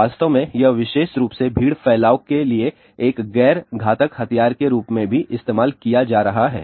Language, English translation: Hindi, In fact, this is being also used as a non lethal weapon specially for crowd dispersion